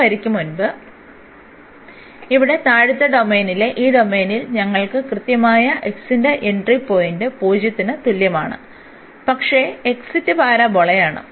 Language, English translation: Malayalam, Before this line so, in this domain in the lower domain here, we have the entry point exactly at x is equal to 0, but the exit is the parabola